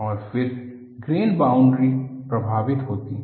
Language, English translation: Hindi, Again, the grain boundaries are affected